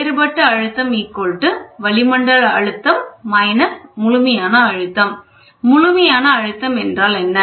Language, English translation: Tamil, Differential pressure is atmosphere minus absolute pressure, what is absolute pressure